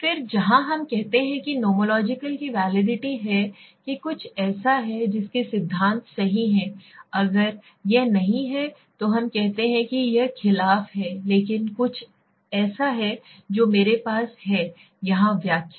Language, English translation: Hindi, Then where we say that there nomological validity that is something that rhyming with the theory right if it is not then we say it is against, but there is something which I have my own interpretation here